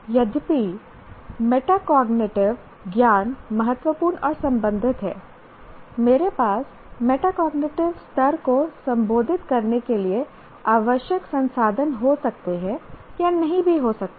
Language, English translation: Hindi, And also I may take though metacognitive knowledge is important, I may or may not have the required resources to address the metacognitive level